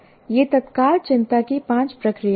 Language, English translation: Hindi, These are the five processes are of immediate concern